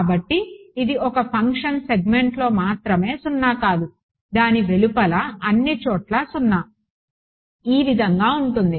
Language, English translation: Telugu, So, it is a function and so, non zero only within a segment, zero everywhere else outside it that is how it looks like ok